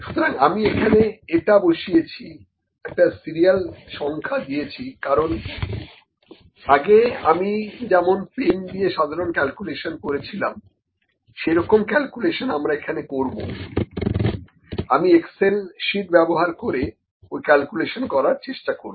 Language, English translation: Bengali, So, I have just put it, put a serial number here because, I will need to I will also do the same calculations that we did the simple calculation with pen, I will also try those calculations in this Excel sheet, ok